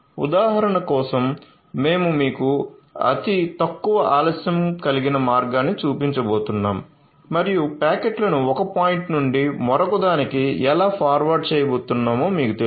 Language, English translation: Telugu, So, for just example sake we are going to show you the shortest delay path and you know how it is going to forward the packets from 1